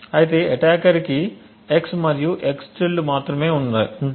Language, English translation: Telugu, However, what the attacker only has is x and the x~